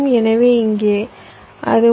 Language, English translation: Tamil, so here it should be